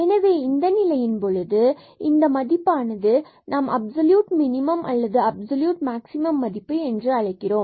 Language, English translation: Tamil, So, in that case if such a value we will call that we will call that this is the absolute minimum value of the function or the absolute maximum value of the function